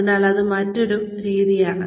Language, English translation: Malayalam, So, that is another way